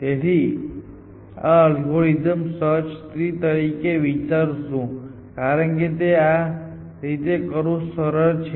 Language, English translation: Gujarati, So, we will visualise this algorithm as a search tree because it is easier to do it like that